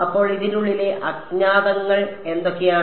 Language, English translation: Malayalam, So, then what are the unknowns inside this